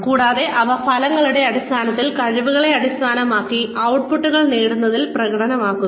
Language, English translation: Malayalam, And, they are assessed, in terms of outcomes, based on competencies, demonstrated in achieving the outputs